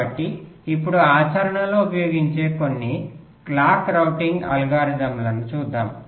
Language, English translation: Telugu, ok, so now let us look at some of the clock routing algorithms which are used in practice